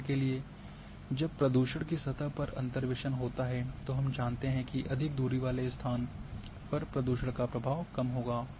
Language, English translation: Hindi, So, it is you know for example when interpolation a surface of pollution we know that the more the distance location will have less influence of pollution